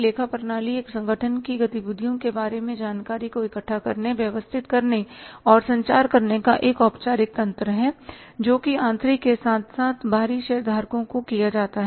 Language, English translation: Hindi, Accounting systems we know it, accounting system is a formal mechanism of gathering, organizing and communicating information about an organization's activities to internal as well as the external shareholders